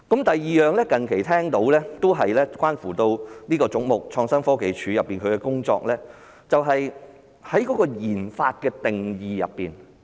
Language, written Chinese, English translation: Cantonese, 第二，我最近聽到的，都是關乎這個總目：創新科技署的工作，就是在研發的定義問題。, Hence instead of offering assistance this will only restrict their development . Secondly from what I have heard recently about the work under this head the definition of research and development RD seems to have posed a problem